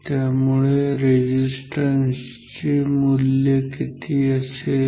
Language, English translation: Marathi, So, what will be this value of resistance